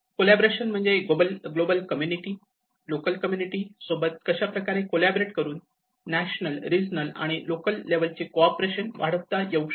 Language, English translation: Marathi, Collaboration also has to look at how the global community can collaborate with the local communities and how they can cooperate with the national and regional and local